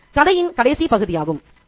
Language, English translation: Tamil, This is the last section of the story